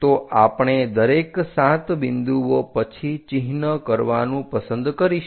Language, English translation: Gujarati, So, we would like to mark after every 7 points